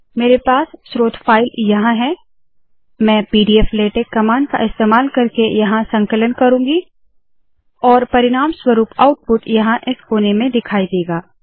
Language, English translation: Hindi, I have the source file here, I will do the compilation here using pdflatex command, and the resulting output will be seen here in this corner